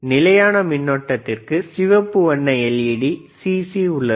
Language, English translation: Tamil, For cconstant current, red colour right ledLED CC is present